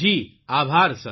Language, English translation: Gujarati, I thank you